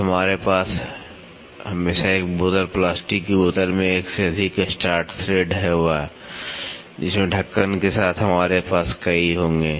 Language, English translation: Hindi, So, we will always have a multiple start thread in a bottle plastic bottle with the lid we will have multiple